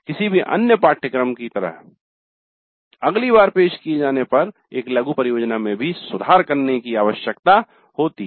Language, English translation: Hindi, Like any other course a mini project also needs to be improved next time it is offered